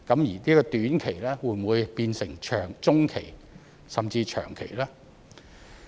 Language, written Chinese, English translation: Cantonese, 而短期會否變成中期甚至長期呢？, Will the short - term measure become medium - term or even long - term?